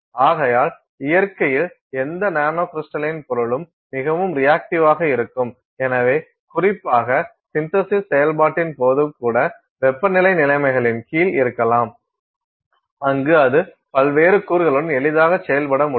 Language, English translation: Tamil, So, therefore, any nanocrystalline material by nature is very reactive and so, even particularly during the synthesis process, where maybe you are under temperature conditions, where it can more easily react with the various other constituents